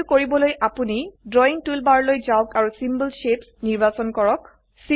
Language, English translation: Assamese, To do this, go to the drawing toolbar and select the Symbol Shapes